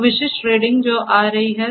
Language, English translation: Hindi, So, the specific reading that is coming